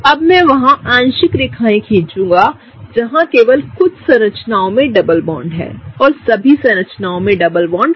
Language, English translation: Hindi, Now, I will draw dotted lines wherever there are double bonds in only some of the structures and not all the structures, so that is that case